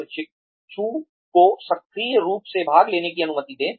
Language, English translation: Hindi, Allow the trainee to participate actively